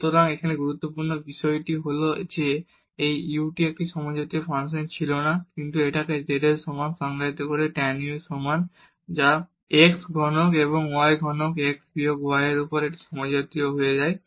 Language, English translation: Bengali, So, here the important point is that this u was not a homogeneous function, but by defining this as the z is equal to tan u which is x cube plus y cube over x minus y it becomes homogeneous